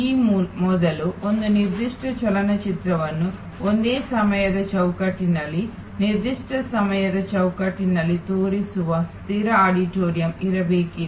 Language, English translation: Kannada, Earlier there was to be fixed auditorium showing one particular movie for in the same frame of time in a particular frame of time